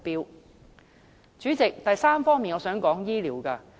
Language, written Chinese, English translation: Cantonese, 代理主席，第三，我想談談醫療。, Deputy Chairman the third point I wish to talk about is health care